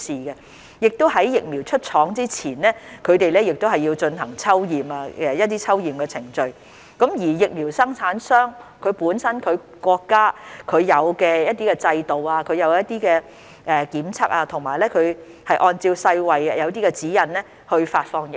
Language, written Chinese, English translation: Cantonese, 同時，在疫苗出廠前，疫苗生產商亦要進行一些抽驗的程序。他們會遵循本身國家所設有的制度進行檢測，以及按照世衞的一些指引來發放疫苗。, Meanwhile before the vaccines are released the manufacturers must conduct sampling checks according to the system in place in their countries and comply with WHO guidelines